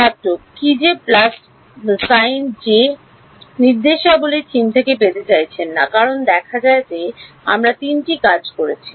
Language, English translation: Bengali, What about that plus sign that directions is not seeking theme get because seen three we have used to job